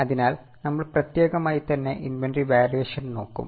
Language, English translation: Malayalam, So, we will specifically look at inventory valuation